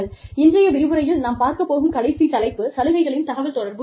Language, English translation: Tamil, Last topic, for today's discussion is, benefits communication